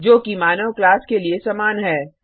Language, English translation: Hindi, Which are common to the human being class